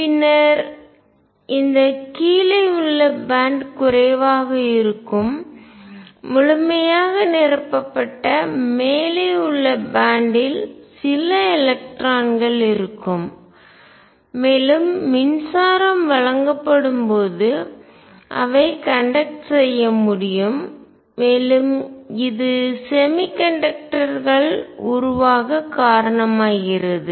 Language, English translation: Tamil, And then the lower band would be less than fully filled upper band would have some electrons and they can conduct when electricity is given, and this gives raise to semiconductors